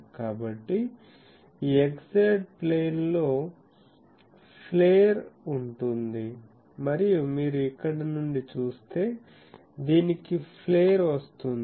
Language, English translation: Telugu, So, the this plane this xz plane is getting flared and you see from here it is getting a flare of this